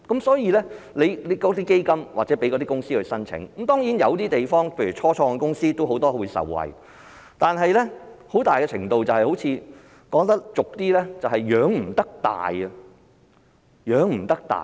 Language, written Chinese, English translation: Cantonese, 所以，成立基金讓公司申請，當然，有些地方例如很多初創公司也能受惠，但很大程度是，說得俗一點便是"養不大"。, Hence although the setting up of funds for application by companies is surely effective in some areas which will benefit many start - up companies it is to a large extent very difficult to help these companies survive and develop into large enterprises